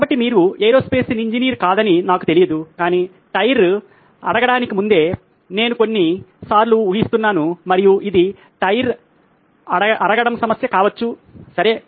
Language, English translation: Telugu, So you can do this say I don’t know I am not an aerospace engineer but probably I am guessing probably few times before the tyre wears out and this could be a problem of the tyre wearing out, okay